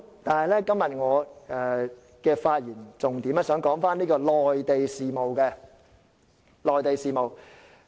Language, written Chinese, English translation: Cantonese, 但是，我今天的發言重點是在內地事務方面。, However the focus of my speech today is Mainland affairs